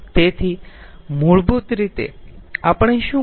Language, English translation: Gujarati, that is what we have done